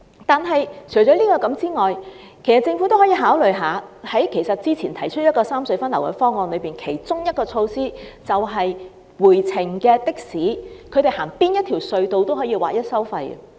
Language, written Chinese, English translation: Cantonese, 但除此以外，政府也可以考慮之前提出的三隧分流方案中的一項措施，便是回程的士不管使用哪條隧道也劃一收費。, In addition to that the Government can consider one of the measures proposed regarding the rationalization of traffic distribution among the three road harbour crossings that is standardized toll for taxis on the return journey regardless of the tunnel used